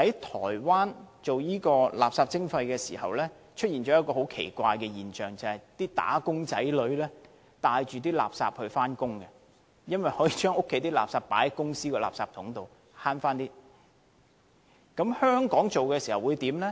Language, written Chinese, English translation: Cantonese, 台灣推行垃圾徵費時出現了一個很奇怪的現象，就是"打工仔女"帶着垃圾上班，因為他們可以將家居垃圾放在公司的垃圾箱內，從而節省一些金錢。, When Taiwan implemented waste charging back then a strange phenomenon had arisen . Some employees took domestic waste to their workplace for disposal in order to save money